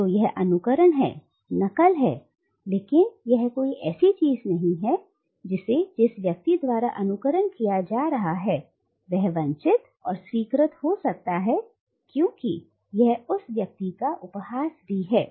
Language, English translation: Hindi, So it is imitation, it is mimicry, but it is not something that can be desired and accepted by the person who is being imitated because it is also a mockery of that person